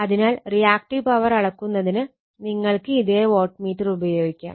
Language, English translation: Malayalam, So, this way watt same wattmeter , you can used for Measuring the Reactive Power right